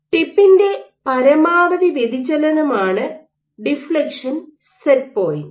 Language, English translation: Malayalam, So, deflection set point is the maximum amount of deflection of the tip